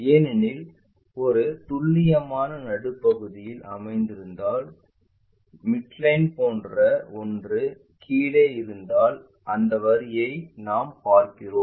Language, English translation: Tamil, Because it is precisely located at midway if something like midline is that one below that we will see that line